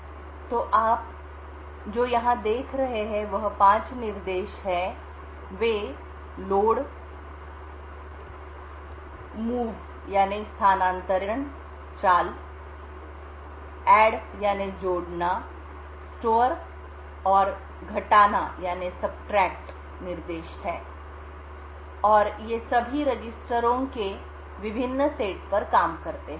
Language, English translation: Hindi, So what you see here is 5 instructions they are the load, move, add, store and the subtract instruction and all of them work on different set of registers